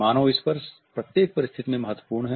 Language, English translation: Hindi, Human touch is important in every circumstances